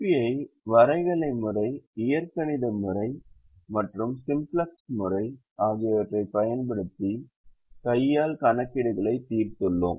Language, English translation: Tamil, p's using the graphical method, the algebraic method and the simplex algorithm, using hand computations